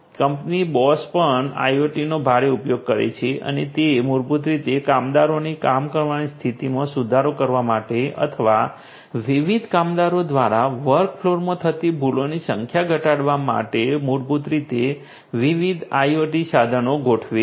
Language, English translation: Gujarati, The company Bosch also heavily uses IoT and it basically deploys different IoT equipments in order to improve the working condition of the workers or and also to reduce the number of errors that happen in the work floor by the different workers